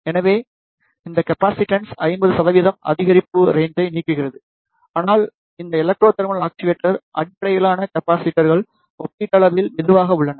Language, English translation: Tamil, Therefore, it removes the limit of 50 percent increase in capacitance , but these Electro thermal actuator based capacitors are relatively